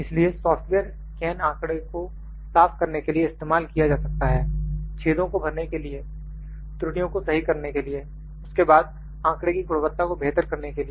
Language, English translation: Hindi, So, the computer software can be used to clean up this scan data, filling holes, correcting errors, then, improving data quality